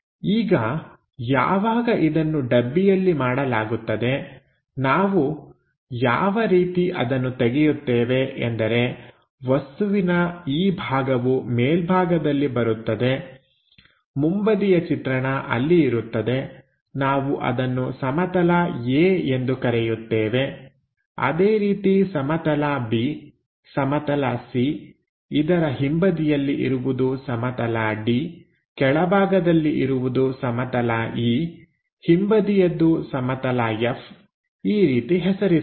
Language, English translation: Kannada, Now, once it is done on that box, we open it in such a way that this part comes to top so that the front view will be there, let us name it like A plane, B plane, C plane, the back side of is D plane, the bottom one is E plane, the back side of that is F plane